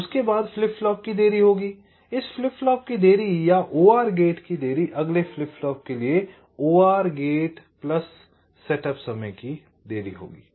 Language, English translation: Hindi, so after that there will be a delay of the flip flop, delay of this flip flop plus delay of the or gate, delay of the or gate plus setup time for the next flip flop before the next clock can come